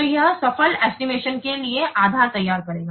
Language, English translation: Hindi, So, this will form the basis for the successful estimation